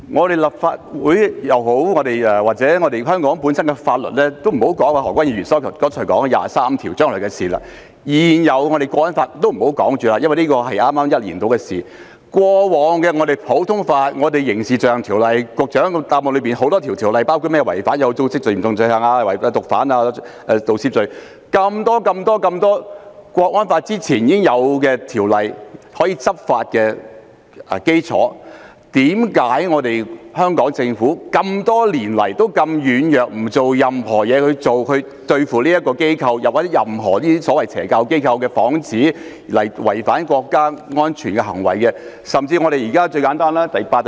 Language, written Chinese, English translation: Cantonese, 何君堯議員剛才提到就二十三條立法是將來的事，而現有的《香港國安法》也只是在1年前才制定，但普通法及局長在主體答覆中提及的多項法例，包括《刑事罪行條例》、《有組織及嚴重罪行條例》、《販毒條例》及《盜竊罪條例》，在制定《香港國安法》前已經存在，這些條例都是執法的基礎，但香港政府多年來表現軟弱，沒有對付這些機構或打着宗教幌子作出違反國家安全的行為的所謂邪教機構。, As mentioned by Dr Junius HO earlier while the legislation on Article 23 is a matter of the future and the existing National Security Law was only enacted a year ago the common law and many ordinances mentioned in the Secretarys main reply such as the Crimes Ordinance the Organized and Serious Crimes Ordinance the Drug Trafficking Ordinance and the Theft Ordinance already existed before the enactment of the National Security Law . These ordinances have formed the basis for law enforcement but the Hong Kong Government has acted lamely for many years and failed to tackle these organizations or the so - called evil cults which hid under religious disguise and committed acts endangering national security